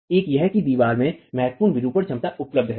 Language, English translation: Hindi, One is that significant deformation capacity is available in the wall